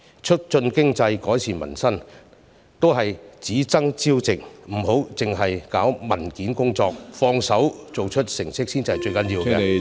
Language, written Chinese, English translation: Cantonese, 促進經濟，改善民生都是只爭朝夕，不要只搞文件工作，動手做出成績才是最重要......, Promoting the economy and improving peoples livelihood all require immediate actions . We should not focus on paperwork only